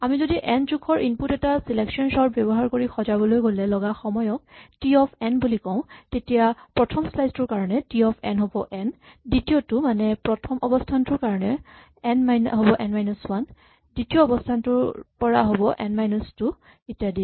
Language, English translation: Assamese, And so, if we write as usual T of n to be the time it takes for an input of size n to be sorted using selection sort this will be n for the first slice, n minus 1 for the second slice on I mean position one onwards, n minus 2 for the position two onwards and so on